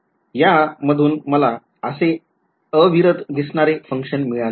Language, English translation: Marathi, So, this is I got a continuous looking function out of this right